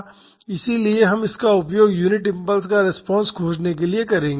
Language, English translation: Hindi, So, we will use this to find the response to unit impulse